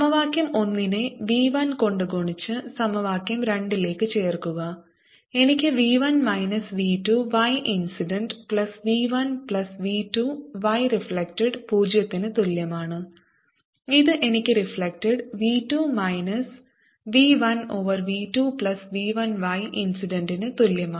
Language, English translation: Malayalam, i get v one minus v two y incident plus v one plus v two y reflected is equal to zero, and this gives me: y reflected is equal to v two minus v one over v two plus v one y incident